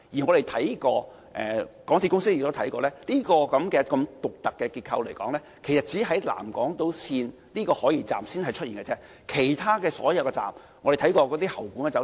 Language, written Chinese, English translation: Cantonese, 港鐵公司亦查看過，這種獨特結構只出現在南港島線的海怡半島站，而其他所有車站的結構均並非這樣。, MTRCL has also done a check and found out that this special structure is unique to South Horizons Station of SIL and the structure of all other MTR stations is different